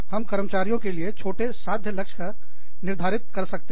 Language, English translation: Hindi, We can set, shorter achievable goals, for our employees